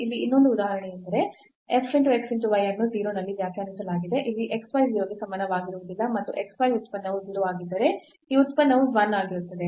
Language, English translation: Kannada, Another example here that f x y is defined at 0 when x y not equal to 0 and when x y the product is 0 then this function is 1